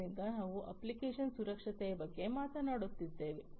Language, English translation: Kannada, So, we are talking about application security